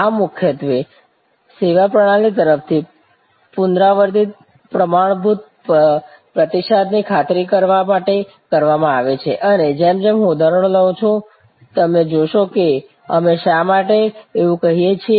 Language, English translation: Gujarati, This is done mainly to ensure repeatable standard response from the service system and as I take on examples, you will immediately see why we say that